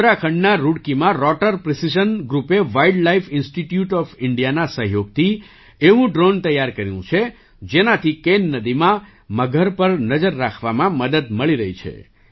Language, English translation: Gujarati, In Roorkee, Uttarakhand, Rotor Precision Group in collaboration with Wildlife Institute of India has developed a drone which is helping to keep an eye on the crocodiles in the Ken River